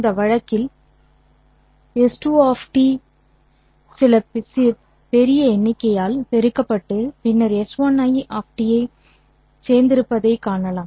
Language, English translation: Tamil, In this case you can see that S 2 of T has been multiplied by some larger number and then added to S 1 of T